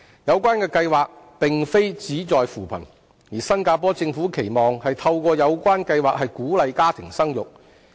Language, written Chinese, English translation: Cantonese, 有關計劃並非旨在扶貧，新加坡政府期望透過有關計劃鼓勵家庭生育。, The Scheme seeks not to alleviate poverty . The Singaporean Government expects that families will be encouraged to have more children through the Scheme